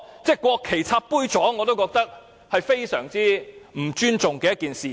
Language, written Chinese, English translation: Cantonese, 把國旗插在杯座上，我覺得是非常不尊重的做法。, I consider inserting national flags into glass holders as greatly disrespectful